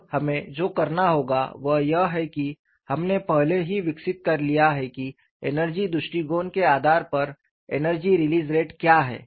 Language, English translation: Hindi, Now, what we will have to do is, we have already developed what is energy release rate based on the energy approach